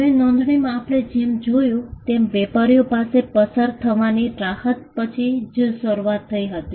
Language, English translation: Gujarati, Now, registration as we saw started off only after the relief of passing off existed for traders